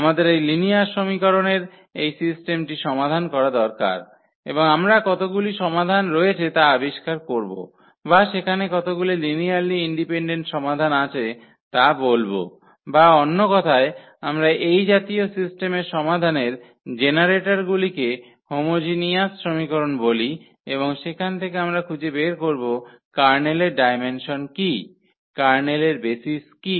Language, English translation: Bengali, We need to solve this system of linear equations and we will find out how many solutions are there or how many linearly independent solutions are there or in other words we call the generators of the solution of this system of homogeneous equations and from there we will find out what is the what is the dimension of the Kernel, what is the what are the basis of the Kernel